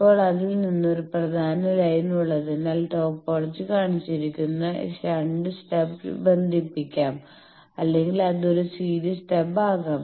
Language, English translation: Malayalam, Now, as you see that there is a main line from that the stub can be connected either in shunt that topology is shown or it can be a series stub also